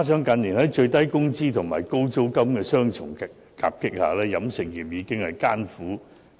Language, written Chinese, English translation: Cantonese, 近年，在最低工資及高租金的雙重夾擊下，飲食業已是舉步維艱。, In recent years given the double impact of minimum wages and high rentals the catering industry has been operating under very difficult conditions